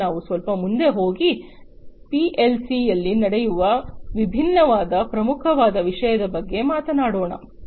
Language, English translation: Kannada, Now, let us go little further and talk about the different, the most important thing that happens in a PLC